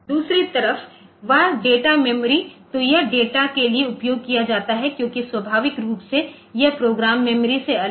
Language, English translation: Hindi, On the other hand that data memory so, it is used for data as naturally it is separate from program memory